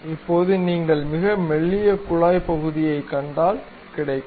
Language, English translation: Tamil, Now, if you are seeing very thin tube portion you will get